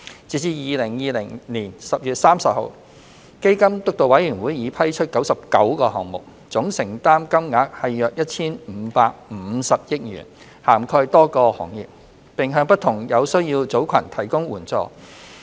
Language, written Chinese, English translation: Cantonese, 截至2020年10月30日，基金督導委員會已批出99個項目，總承擔金額約 1,550 億元，涵蓋多個行業，並向不同有需要組群提供援助。, As at 30 October 2020 the AEF Steering Committee has approved 99 measures with a total financial commitment of around 155 billion covering a wide spectrum of sectors and groups in need